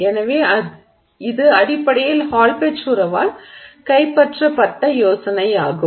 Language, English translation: Tamil, And so that's basically the idea that was captured by the Hallpage relationship